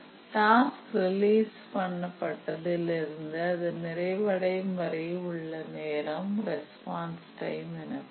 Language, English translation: Tamil, So the time from release of the task to the completion time of the task, we call it as a response time